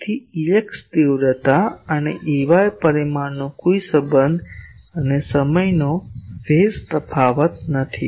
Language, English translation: Gujarati, So, E x magnitude and E y magnitude no relation and time phase difference